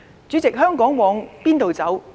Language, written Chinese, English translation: Cantonese, 主席，香港往何處走？, President where should Hong Kong go from here?